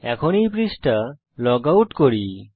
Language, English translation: Bengali, Lets log out of this page now